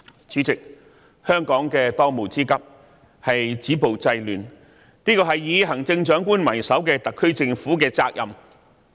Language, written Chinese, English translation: Cantonese, 主席，香港的當務之急是止暴制亂，這是以行政長官為首的特區政府的責任。, President the pressing task now in Hong Kong is to stop violence and curb disorder . This is the duty of the SAR Government under the leadership of the Chief Executive